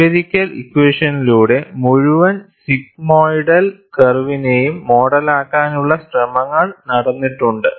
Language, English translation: Malayalam, Efforts have also been made to model the entire sigmoidal curve through empirical equations